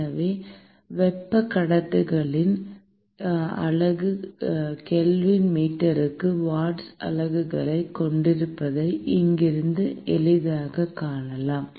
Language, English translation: Tamil, So, therefore, from here we can easily see that the unit of thermal conductivity has units of watt per meter Kelvin